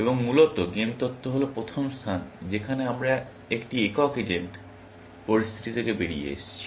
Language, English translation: Bengali, So, essentially, game theory is the first place that we have stepped out of a single agent situation